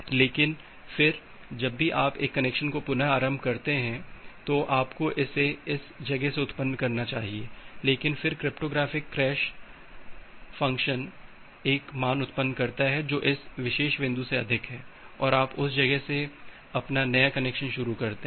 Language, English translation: Hindi, But, then whenever you are restarting a connection you should generate it from this point, but then the cryptographic hash function generates another value which is more than this particular point say for at here